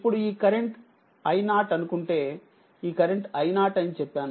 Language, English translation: Telugu, Suppose, this current is i 0 this current is i 0 right